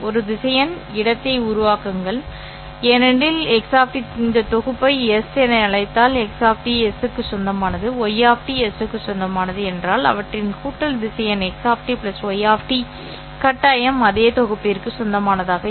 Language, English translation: Tamil, Yes, because if X of T, call this set as S, so if X of T belongs to S, Y of T belong to S, then their addition vector X of T plus Y of T must belong to the same set s, correct